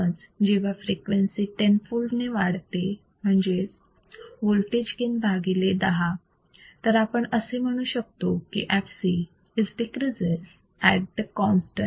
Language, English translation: Marathi, So, when the frequency is increased tenfold, that is the voltage gain is divided by 10, then the fc is decreased at the constant